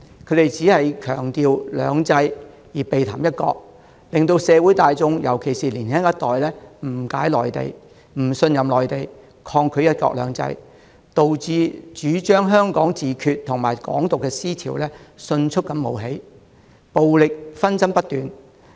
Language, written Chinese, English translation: Cantonese, 他們只強調"兩制"，而避談"一國"，令社會大眾——尤其是年輕一代——誤解、不信任內地，抗拒"一國兩制"，導致主張"香港自決"和"港獨"的思潮迅速冒起，暴力紛爭不斷。, By emphasizing two systems and evading one country they sow misunderstanding and mistrust towards the Mainland among the general public―the younger generation in particular―making them resist one country two systems . This has resulted in the rapid rise of the advocacy of self - determination for Hong Kong and Hong Kong independence and incessant violent conflicts